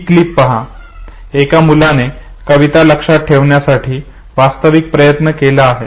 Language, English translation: Marathi, Look at the clip to see an actual attempt by your child to memories a poem